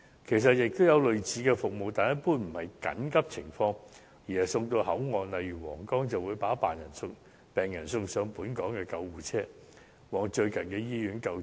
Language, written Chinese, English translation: Cantonese, 其實現時也有類似的服務，但一般不是用於緊急情況，而是把病人送到口岸，例如皇崗，再轉送上本港救護車，前往最近的醫院救治。, Actually a similar service is now available but it usually is not used in cases of emergency . Instead the patient concerned is transported to an immigration control point such as Huanggang before being transferred to a Hong Kong ambulance which will take him or her to the nearest hospital for treatment